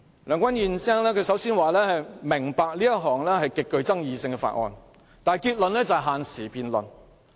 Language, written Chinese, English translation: Cantonese, 梁君彥議員首先說"明白這是一項極具爭議的法案"，但結論卻是要限時辯論。, While Mr Andrew LEUNG says I understand that this Bill is extremely controversial his conclusion is to set a time limit for the debate